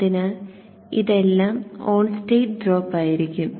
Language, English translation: Malayalam, So all these would be on state drops